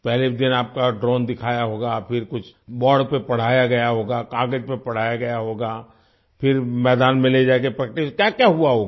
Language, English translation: Hindi, You must have been shown a drone on the first day… then something must have been taught to you on the board; taught on paper, then taken to the field for practice… what all must have happened